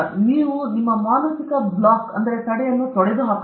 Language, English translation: Kannada, You have to get rid of that mental block